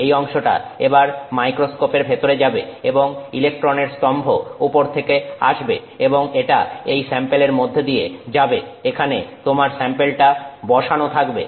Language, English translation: Bengali, This region will now be inside the microscope and the electron beam will come from let's say the top and we'll go through this sample